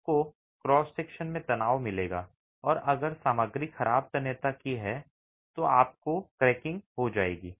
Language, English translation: Hindi, You will get tension in the cross section and if the material is of poor tensile strength then you will get cracking